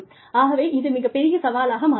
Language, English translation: Tamil, So, that becomes a very big challenge